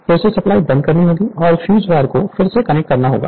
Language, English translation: Hindi, Again you have to the your what you call again you have to switch off the supply and you have to reconnect the fuse wire right